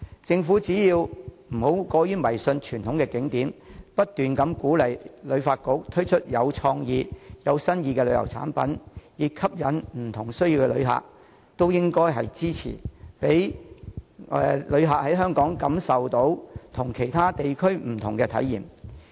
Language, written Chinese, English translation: Cantonese, 政府不應過於迷信傳統景點的魅力，反而應不斷鼓勵及支持旅發局推出具創意的旅遊產品，以吸引有不同需要的旅客，讓他們能在香港感受到不同的體驗。, Thus the Government should turn away from its unmoving faith in the charm of traditional scenic spots . Instead it should keep on encouraging and supporting the HKTB to launch creative tourism products in order to attract visitors who have different needs . By doing so we can offer different experiences to visitors during their trips to Hong Kong